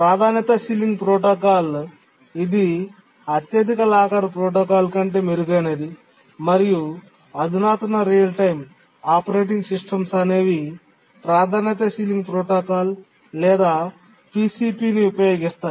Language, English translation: Telugu, Now let's look at the priority sealing protocol which is a improvement over the highest locker protocol and most of the sophisticated real time operating systems use the priority ceiling protocol or PCP